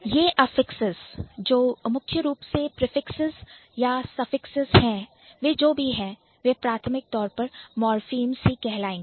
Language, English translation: Hindi, So, these affixes which are primarily prefixes or suffixes whatever they are, they are primarily morphemes